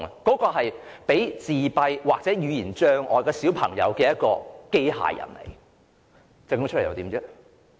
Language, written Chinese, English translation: Cantonese, 這款供患上自閉症或語言障礙的小朋友使用的機械人，設計出來又如何呢？, What was the fate of this robot which was designed for use by autistic or aphasic children?